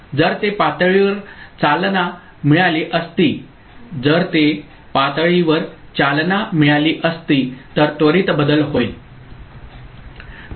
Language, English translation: Marathi, Had it been level triggered, immediately there would been a change